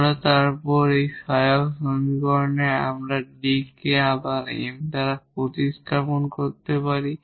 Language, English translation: Bengali, So, the auxiliary equation corresponding to this will be just we can replace this D by m